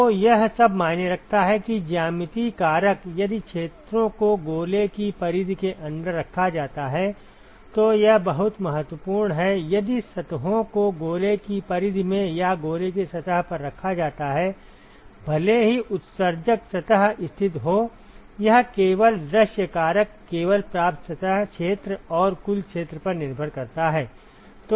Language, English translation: Hindi, So, all that matters is that the geometric factor, if the areas are placed inside the periphery of the sphere, this is very important; if the surfaces are placed in the periphery of the of the sphere or the surface of the sphere irrespective of where the emitting surface is located, it only, the view factor only depends upon the receiving surface area and the total sphere ok